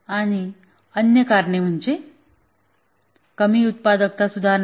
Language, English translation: Marathi, And also the other reason is low productivity improvements